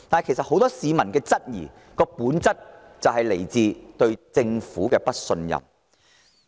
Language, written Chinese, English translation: Cantonese, 其實，很多市民質疑這些計劃，本質上源於對政府的不信任。, In fact public scepticism of these projects largely stems in essence from their distrust in the Government